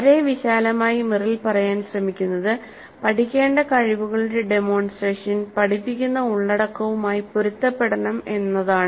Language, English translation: Malayalam, Very broadly what Merrill is trying to say is that the demonstration of the skills to be learned must be consistent with the type of content being taught